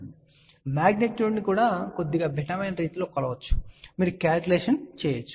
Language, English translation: Telugu, Now, magnitude can also be measured slightly different way, you can do the calculation